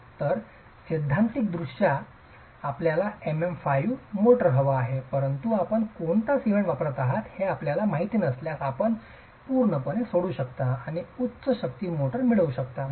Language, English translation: Marathi, So, theoretically you might want a MM5 motor, but if you don't know what cement you are using, you can go completely off the mark and get a higher strength motor